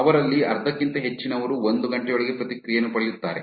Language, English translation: Kannada, More than half of them get a response within one hour